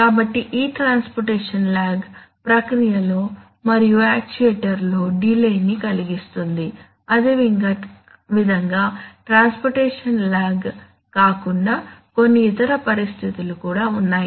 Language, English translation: Telugu, So therefore this transportation lag causes delays both in the process and in the actuator, similarly apart from transportation lag there are situations